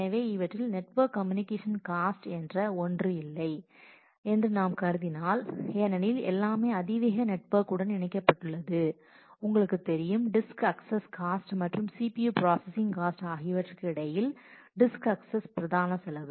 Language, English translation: Tamil, So, out of these if we assume that there is no network communication cost just for simplicity that is everything is connected to a very you know high speed network then between the disk cost and the accesses and the CPU processing cost the disk access is a predominant cost